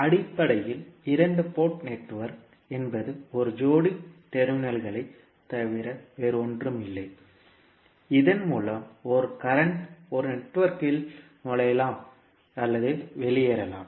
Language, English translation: Tamil, Basically, the two port network is nothing but a pair of terminals through which a current may enter or leave a network